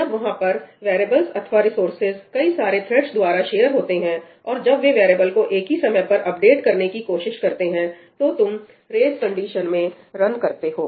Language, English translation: Hindi, When there are variables or resources being shared by multiple threads, and they try to update that variable at the same time, then you run into race conditions